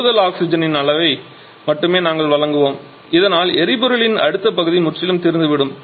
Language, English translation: Tamil, Then we shall be supplying only that quantity of additional oxygen so that that onward portion of the fuel gets completely exhausted or the other way